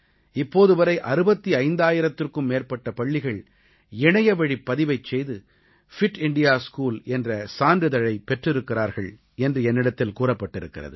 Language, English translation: Tamil, I have been told that till date, more than 65,000 schools have obtained the 'Fit India School' certificates through online registration